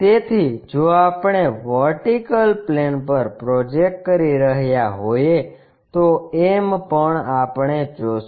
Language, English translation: Gujarati, So, if we are projecting on the vertical plane also m we will see